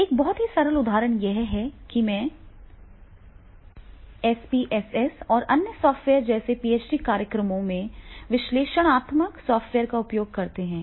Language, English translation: Hindi, A very simple example is this, that is when we are using the analytic software in the PhD programs, maybe the SPSS or the other software